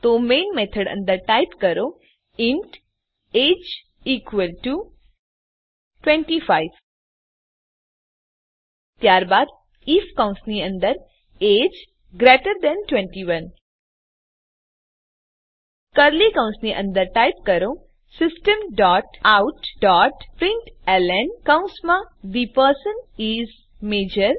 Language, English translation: Gujarati, So inside the Main method type int age is equal to 25 then if within brackets age greater than 21, within curly brackets type System dot out dot println within brackets The person is Major